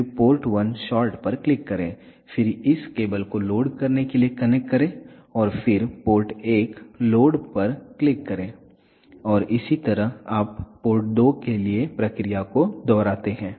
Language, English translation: Hindi, Next you connect the port 1 to short after connecting this cable with shot again click on port 1 short, then again connect this cable to load and then click on port 1 load and similarly you replicate the procedure for port 2